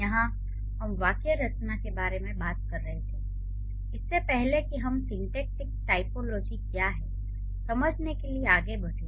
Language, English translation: Hindi, We were talking about syntax before we proceed further to understand what syntactic typology is